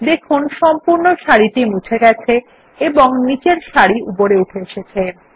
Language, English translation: Bengali, You see that the entire row gets deleted and the row below it shifts up